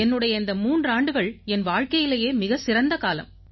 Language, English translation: Tamil, three years have been the best years of my life